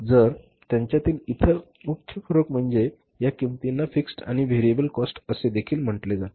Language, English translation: Marathi, So, and the other major differentiation between them is that these costs are called as the fixed and the variable cost also